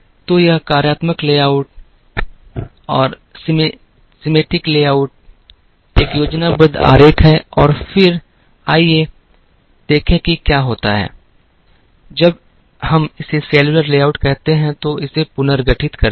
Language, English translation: Hindi, So, this is a schematic diagram of the functional layout and then, let us see what happens when we reorganize this into what is called a cellular layout